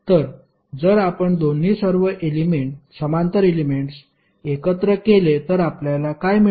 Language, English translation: Marathi, So if you combine both all the parallel elements, what you will get